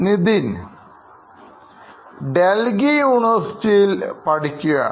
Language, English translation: Malayalam, He is studying at a university in Delhi, India